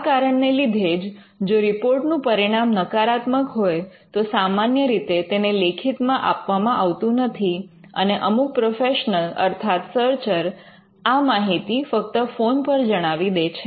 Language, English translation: Gujarati, So, the report; a negative report is normally not given in writing, some professionals just communicate over the phone for this reason